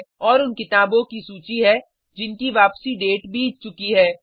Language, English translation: Hindi, And the list of books which are past their return date